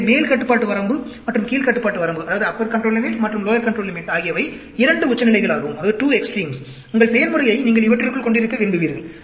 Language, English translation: Tamil, So, the upper control limit and the lower control limit are the two extremes within which you would like to have your process